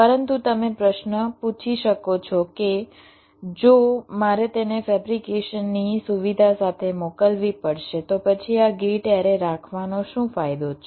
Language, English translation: Gujarati, but you may ask the question that will: if i have to sent it with the fabrication facility, then what is the advantage of having this gate array